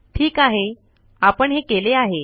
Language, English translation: Marathi, Okay, this is what we did